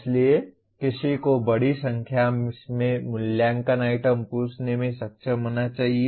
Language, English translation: Hindi, So, one should be able to ask a large number of assessment items